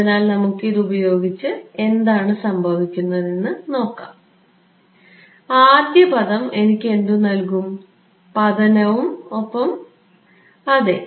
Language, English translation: Malayalam, So, let us just apply this and see what happens, what will the first term give me so, incident plus yeah